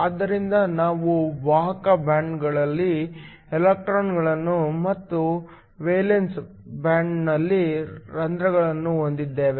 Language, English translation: Kannada, So, we have electrons in the conduction band and holes in the valence band